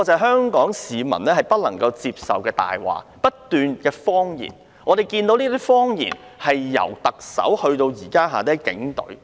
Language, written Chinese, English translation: Cantonese, 香港市民不能接受這些謊言，但類似謊言已由特首伸延至轄下的警隊。, Hong Kong citizens cannot accept these lies but similar lies have been extended from the Chief Executive to her police force